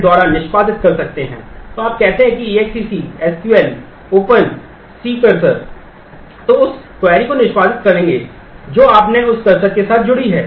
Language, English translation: Hindi, So, that will execute the query that you have associated with that cursor